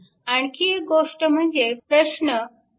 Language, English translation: Marathi, And another thing is that your problem 3